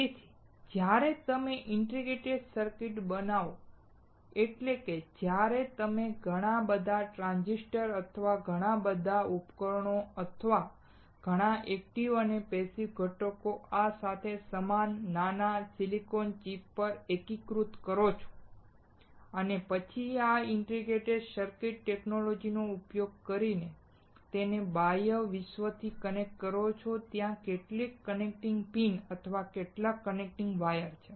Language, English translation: Gujarati, when you fabricate a lot of transistors or a lot of devices or a lot of active and passive components integrated together on a small silicon chip similar to this and then connect it to external world using this integrated circuit technology, there are some connecting pins, and some connecting wires